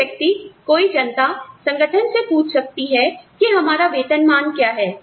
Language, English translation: Hindi, Anyone, any public, any person, can ask the organization, what our salary scales are